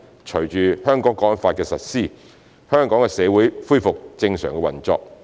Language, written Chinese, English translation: Cantonese, 隨着《香港國安法》的實施，香港的社會恢復正常運作。, Following the implementation of the National Security Law stability has been restored in Hong Kongs society